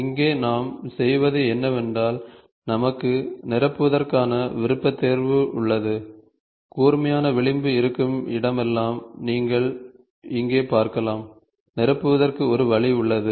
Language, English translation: Tamil, Here what we do is, we have a option of filleting, you can see here wherever there is a sharp edge, there is an option of filleting